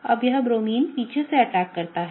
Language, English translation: Hindi, Now this Bromine, attack from the back